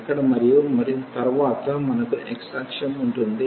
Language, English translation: Telugu, So, this is the line here and then we have the x axis